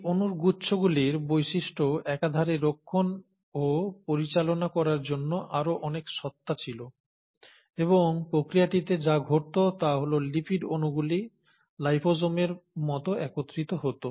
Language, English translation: Bengali, There was far more entity for these cluster of molecules to kind of guard and maintain their properties, and in the process what would have happened is that lipid molecules would have assembled like liposomes